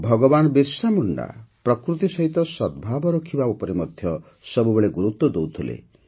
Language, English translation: Odia, Bhagwan Birsa Munda always emphasized on living in harmony with nature